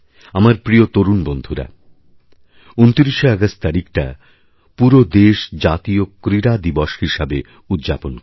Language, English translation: Bengali, My dear young friends, the country celebrates National Sports Day on the 29th of August